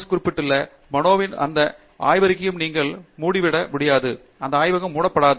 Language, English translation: Tamil, You cannot close that lab of the mind that JC Bose mentioned, that lab cannot be closed